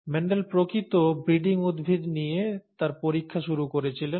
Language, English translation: Bengali, Mendel started his experiments with true breeding plants